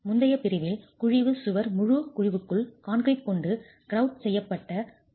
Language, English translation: Tamil, In the previous category the cavity wall, the entire cavity has to be grouted with concrete in situ